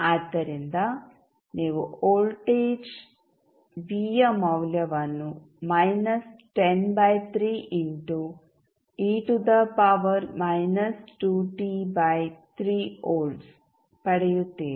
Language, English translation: Kannada, sSo you will get value of voltage V is nothing but minus 10 by 3 into e to the power minus 2t by 3 volts